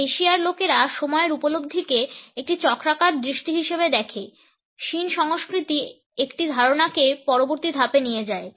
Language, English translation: Bengali, In Asia the people view the perception of time as a cyclical vision, shin culture takes a concept to a next step